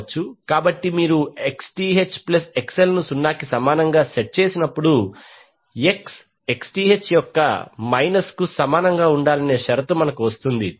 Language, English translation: Telugu, So, when you set Xth plus XL equal to 0, you get the condition that XL should be equal to minus of Xth